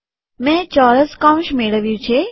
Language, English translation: Gujarati, I got square brackets